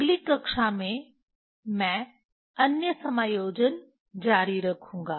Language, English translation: Hindi, In next class I will continue the other adjustment